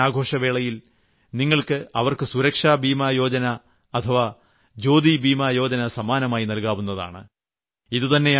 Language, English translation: Malayalam, To them also, you can gift Pradhan Mantri Suraksha Bima Yojna or Jeevan Jyoti Bima Yojna on this festival of Raksha Bandhan